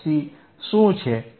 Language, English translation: Gujarati, What is f C